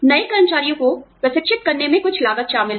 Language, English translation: Hindi, There is some cost involved in training the new employees